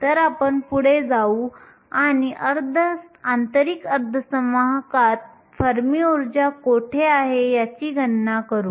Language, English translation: Marathi, So, we will go ahead and calculate where the fermi energy is located in an intrinsic semiconductor